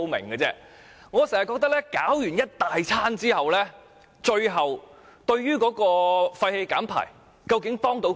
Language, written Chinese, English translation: Cantonese, 我經常覺得，在採取各項措施後，究竟對於減排有多少幫助呢？, I always wonder how effectively we can help to reduce emissions after taking so many measures